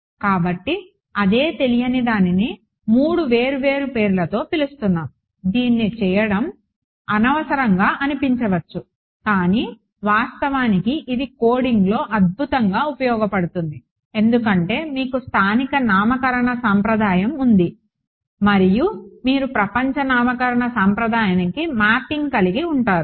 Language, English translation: Telugu, So, the same unknown is being called by three different names it, I mean it may seem unnecessary to do it, but it actually is a phenomenally helpful in coding, because you have a local naming convention and then you have a mapping to global naming convention